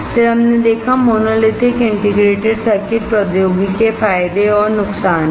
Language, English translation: Hindi, Then we saw the advantages and disadvantages of monolithic integrated circuit technology